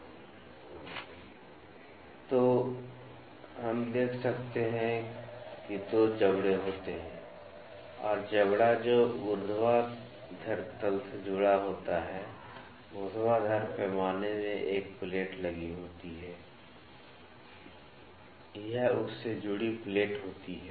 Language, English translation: Hindi, So, we can see that there are 2 jaws and the jaw that is connected to the vertical plane, vertical scale is having a plate attached to it, this is plate attached to it